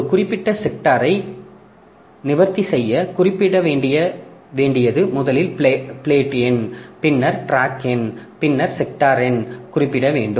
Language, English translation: Tamil, So, to address a particular sector what you need to specify is first of all the plate number, the plate number, then you need to specify the track number and then the sector number